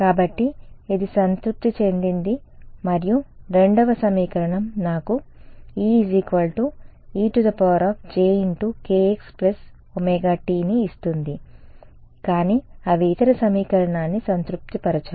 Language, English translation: Telugu, So, this is satisfied and the second equation gives me E is equals to jkx plus omega t ok, but they do not satisfy the other equation ok